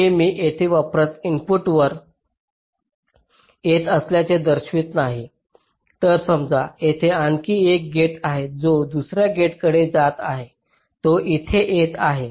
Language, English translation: Marathi, again, here lets say there is another gate which is coming to another gate which is coming here